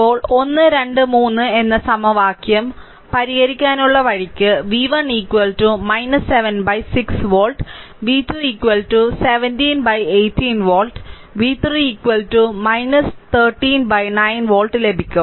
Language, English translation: Malayalam, Now, the way you want you solve solving equation 1 2 and 3 you will get v 1 is equal to minus 7 by 6 volt v 2 is equal to 17 by 18 volt, v 3 is equal to minus 13 by 9 volt